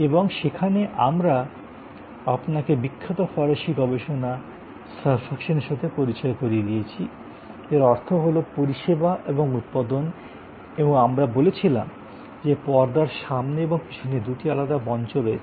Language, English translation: Bengali, And there we actually introduce you to this famous French research on servuction, which is means service and production and we said that, there is a front stage and there is a back stage in service